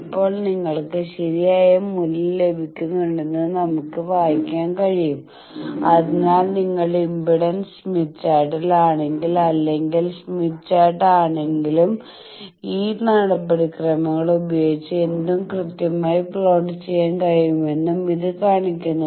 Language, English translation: Malayalam, Now, we can read and you see that you are getting the correct value, so this shows that the procedures that whether you are in impedance smith chart using or admittance smith chart using you will be able to plot anyone correctly